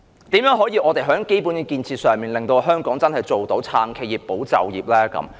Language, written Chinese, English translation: Cantonese, 政府可以怎樣在基本建設上，令香港真正做到"撐企業、保就業"呢？, In terms of basic conditions how can the Government accomplish its mission of supporting enterprises and safeguarding jobs?